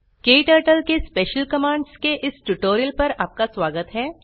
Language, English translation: Hindi, Welcome to this tutorial on Special Commands in KTurtle